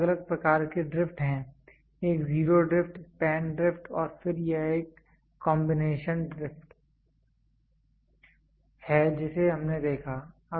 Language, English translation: Hindi, There are three different types of drifts; one is zero drift, span drift and then it is a combination drift we saw